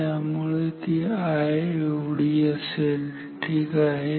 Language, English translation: Marathi, So, let us write it as an I ok